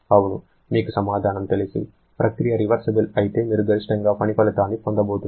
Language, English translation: Telugu, Yes, you know the answer, if the process is reversible one; you are going to get the maximum possible work output